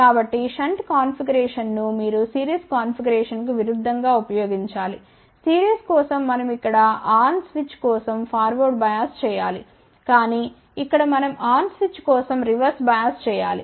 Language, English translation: Telugu, So, by using a shunt configuration, you have to use opposite of the series configuration, for series we have to do forward bias for on switch here we have to reverse bias for on switch